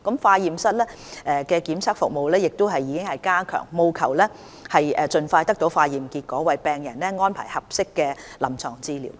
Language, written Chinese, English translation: Cantonese, 化驗室的檢測服務亦已加強，務求盡快得到化驗結果，為病人安排合適的臨床治療。, Laboratory testing services have also been enhanced with a view to obtaining testing results as soon as possible for arrangement of suitable treatment for patients